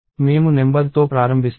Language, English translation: Telugu, I start with number